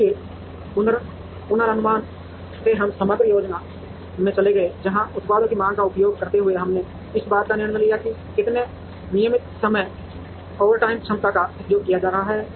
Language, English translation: Hindi, And then from forecasting we moved to aggregate planning, where using the demand for the products, we made decisions on how much of regular time, overtime capacity that is being used